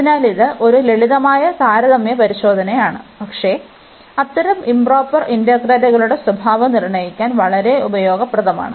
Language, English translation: Malayalam, So, it is a simple comparison test, but very useful for deciding the behavior of such improper integrals